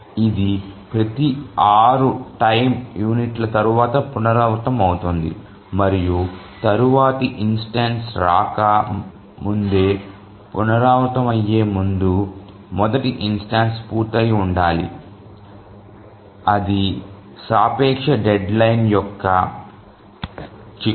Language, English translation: Telugu, So it repeats after every six time units and before it repeats, before the next instance comes, the first instance must have been over